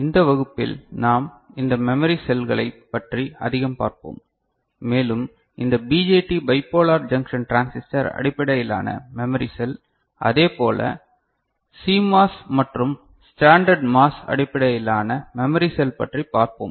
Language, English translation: Tamil, In this class we shall look more into this memory cells and we shall look into this BJT Bipolar Junction Transistor based memory cell, as well as CMOS and standard MOS based memory cell ok